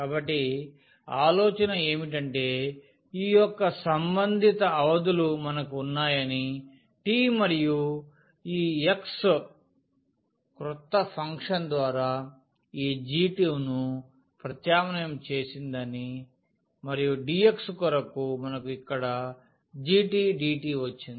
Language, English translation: Telugu, So, the idea used to be that we have the corresponding limits now of this t and this x was substituted by the new function this g t and for dx we have got here g prime t dt